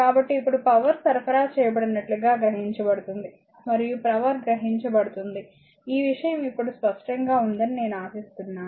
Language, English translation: Telugu, So, now, absorbed as your power supplied and power absorbed I hope this thing is clear to you now right